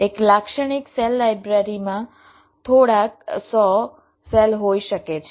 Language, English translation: Gujarati, a typical cell library can contain a few hundred cells